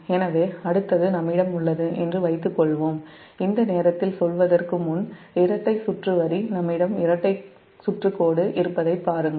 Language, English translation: Tamil, so for suppose, next one is: we have a double circuit line, before saying this time, just see, we have a double circuit line